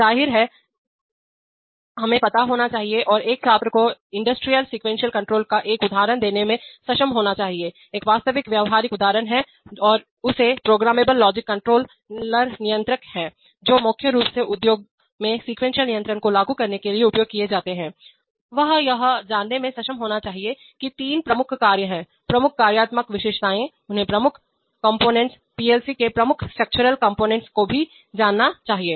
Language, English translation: Hindi, Obviously, we should know, he will be, she should be able to do give an example of industrial sequence control, an actual practical example and he should, the programmable logic controllers are controllers which are primarily used in the industry to implement sequence control, he should be able to know three of it is major functions, the major functional characteristics, he should also know the major components, the major structural components of the PLC